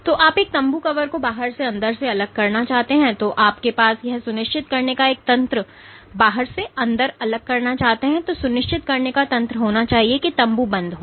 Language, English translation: Hindi, So, you want a tent cover to separate the inside from the outside, you have to have a mechanism of ensuring that the tent is stopped